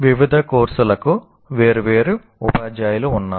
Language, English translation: Telugu, And then you have different teachers for different courses